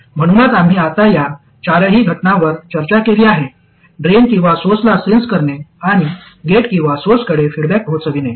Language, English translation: Marathi, So we have now discussed all four cases sensing at either drain or source and feeding back to either gate or source